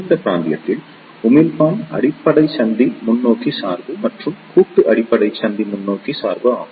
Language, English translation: Tamil, In this region emitter base junction is forward bias and collective base junction is also forward bias